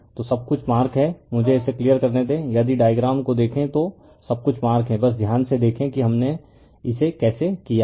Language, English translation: Hindi, So, everything is marked let me clear it if you look at the diagram everything is marked for you just see carefully how we have done it right